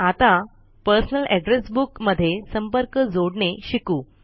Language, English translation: Marathi, Now, lets learn to add contacts in the Personal Address Book